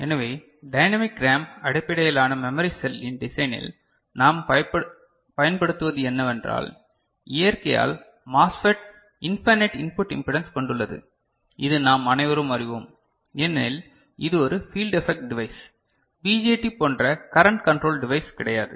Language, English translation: Tamil, So, what we use in design of dynamic RAM based memory cell, is that the MOSFET by nature has infinite input impedance that we all know, ok, because it is a field effect device it is not a current controlled device like BJT, right